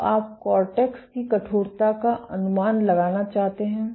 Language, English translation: Hindi, So, you want to estimate the stiffness of the cortex